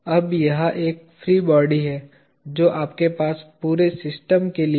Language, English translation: Hindi, Now this is a free body that you have for the entire system